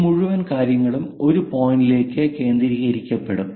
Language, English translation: Malayalam, These entire points will be focused at one point